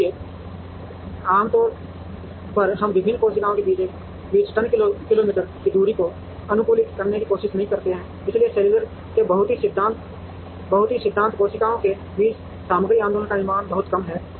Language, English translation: Hindi, So, ordinarily we do not try to optimize the ton kilometer distance amongst the various cells because the very principle of cellular manufacturing the material movement among the cells is very, very less